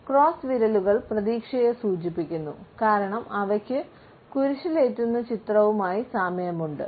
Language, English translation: Malayalam, Crossed fingers indicate hope, because somehow they form a rough image of the crucifix